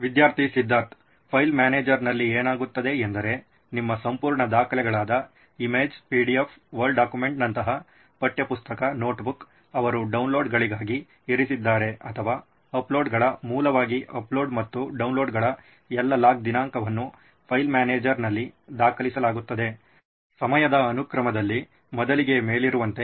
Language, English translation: Kannada, In file manager what happens is you can segregate your entire documents like image, PDF, Word document then textbook, notebook they have come down as downloads or uploads basic all the log date of uploads and downloads would be recorded in the file manager, in sequence of the time period, pertaining to the earlier being on top